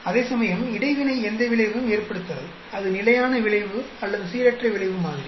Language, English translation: Tamil, Whereas, interaction does not have any effect; whether it is fixed effect or the random effect model